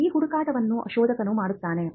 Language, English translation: Kannada, And this search is done by the searcher